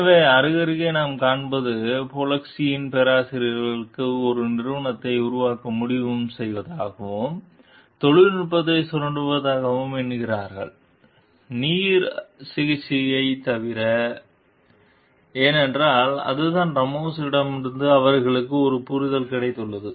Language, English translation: Tamil, So, side by side what we find is Polinski, the professors count they also decide to form a company and to exploit the technology, except for water treatment because that is what they have got an understanding with Ramos